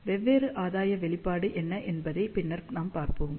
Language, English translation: Tamil, As we will see later on, what are the different gain expression